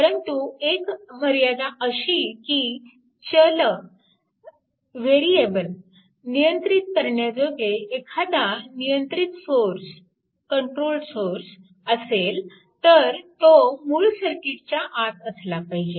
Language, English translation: Marathi, However, restriction is there in the controlling variables for any controlled sources must appear inside the original circuit